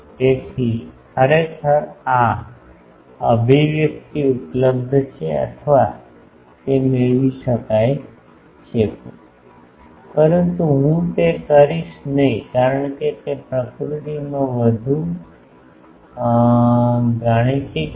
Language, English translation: Gujarati, So, actually this expression is available or it can be derived, but I would not do that because that will be more mathematical in nature